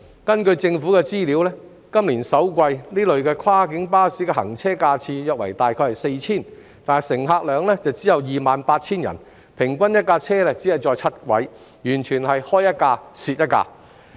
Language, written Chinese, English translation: Cantonese, 根據政府的資料，今年首季，這類跨境巴士的行車架次約為 4,000 次，乘客量只有 28,000 人，平均1輛車只載7人，完全是開一輛蝕一輛。, According to the Governments information in the first quarter of this year the number of trips made by these cross - boundary coaches was about 4 000 and the number of passenger trips was only 28 000 . On the average each vehicle carried only seven passengers . Every time a coach provided service it would definitely incur a loss